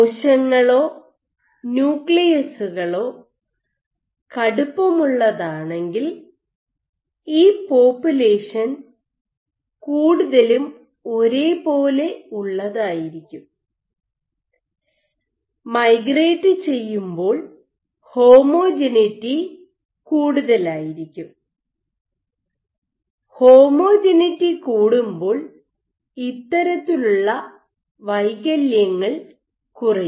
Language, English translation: Malayalam, So, a stiffer nucleus, if cells are stiff cells or nuclei are stiff, then this population should be more homogeneous, let us likely to migrate and will be more homogeneous, because this kind of defects will be less likely